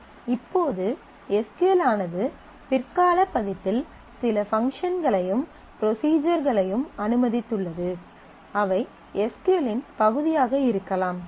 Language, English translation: Tamil, Now, what we are saying that SQL also in later version have allowed certain functions and procedures, which can be part of SQL